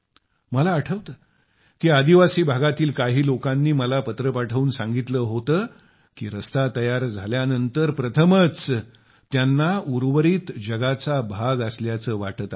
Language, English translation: Marathi, I remember some friends from a tribal area had sent me a message that after the road was built, for the first time they felt that they too had joined the rest of the world